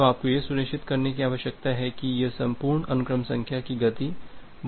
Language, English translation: Hindi, So, you need to ensure that this entire sequence number speed does not wrap around too quickly